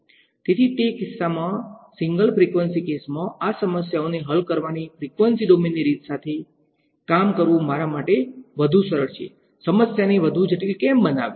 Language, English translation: Gujarati, So in that case so single frequency case, it is better for me to work with a frequency domain way of solving these problems; why make life more complicated